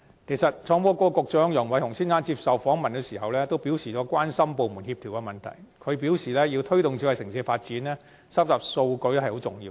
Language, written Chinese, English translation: Cantonese, 創新及科技局局長楊偉雄先生受訪時也表示，關心部門之間的協調問題。他強調，要推動智慧城市的發展，收集數據十分重要。, Mr Nicholas YANG Secretary for Innovation and Technology said in an interview that he was concerned about the issue of coordination among departments and stressed the importance of data collection in the promotion of smart city development